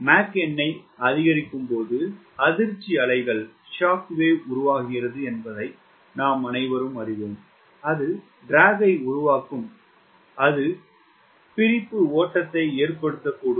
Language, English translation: Tamil, we all know that as i increase mach number there is a formation of shockwave that results in drag, that results in flow of separation